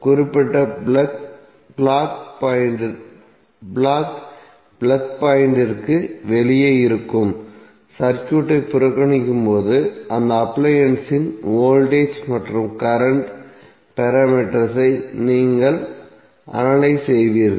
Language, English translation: Tamil, You will analyze the voltage and current parameters of that appliance, while neglecting the circuit which is outside the particular plug block plug point